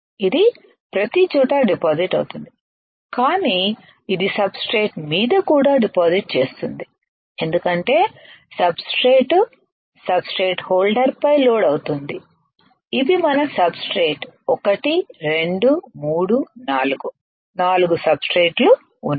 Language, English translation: Telugu, It will deposit everywhere, but it would also deposit on the substrate because substrates are loaded on the substrate holder right these are our substrate one 2 3 4, 4 substrates are there